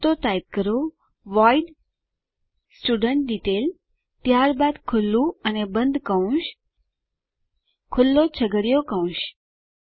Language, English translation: Gujarati, So let me type, void studentDetail then opening and closing brackets, curly brackets open